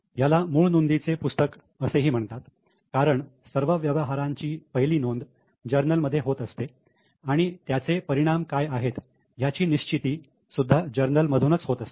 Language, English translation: Marathi, Now, this is called as a book of original entry because all the transactions are first recorded in journal and the effects are decided here in journal